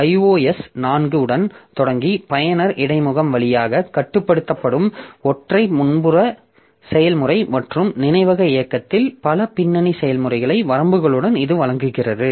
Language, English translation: Tamil, Starting with iOS 4, it provides for a single foreground process controlled via user interface and multiple background processes in memory running but not on the display and with limits